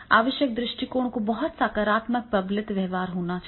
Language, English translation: Hindi, The approach is required to be the very positive reinforcement behavior is required